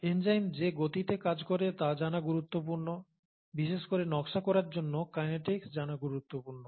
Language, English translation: Bengali, The speeds at which enzymes act are important to know, the kinetics is important to know of especially for design